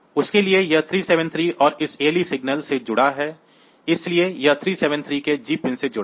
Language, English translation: Hindi, So, they are also available here; so, for that it is connected to this 373 and this ALE signals, so it is connected to the G pin of 373